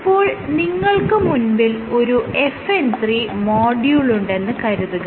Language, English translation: Malayalam, So, you have FN 3 module